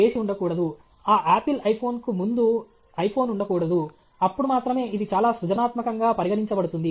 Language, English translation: Telugu, There should not be a… there should not have been an iPhone before that Apple iPhone, then only it is highly creative